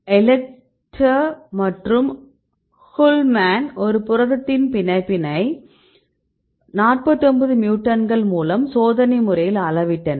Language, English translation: Tamil, So, here Eletr and Kuhlman, they experimentally measured the binding affinity of 49 mutants in this particular protein right